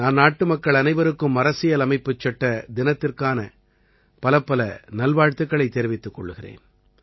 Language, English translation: Tamil, I extend my best wishes to all countrymen on the occasion of Constitution Day